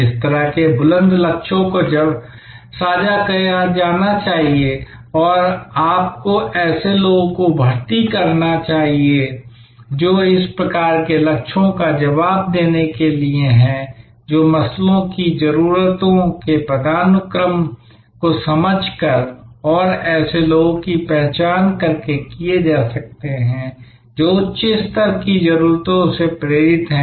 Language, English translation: Hindi, Such lofty goals should be shared and you should recruit people, who are of that type to respond to such goals that can be done by understanding the Maslow’s hierarchy of needs and identifying such people, who are driven by the higher level of needs